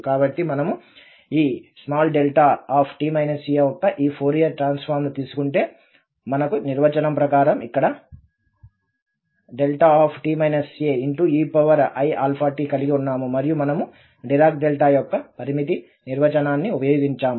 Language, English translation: Telugu, So, if we take this Fourier transform of this delta t minus a then we have here delta t minus a e power i alpha t as per the definition and then we have used this limiting definition of the Dirac Delta